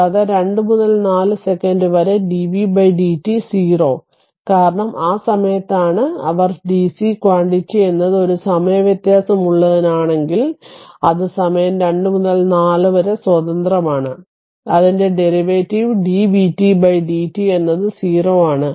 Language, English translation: Malayalam, And in between 2 to 4 second dvt by dt 0, because it is at the time it is a it is your what you call if your dc quantity right it is a time varying, it is independent of time 2 to 4